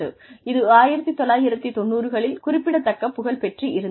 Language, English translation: Tamil, It came substantial popularity in the 1990